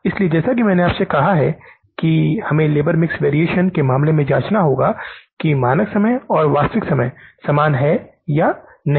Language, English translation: Hindi, So, as I told you that we have to check in case of the labour mix variance that whether the standard time and the actual time are same or not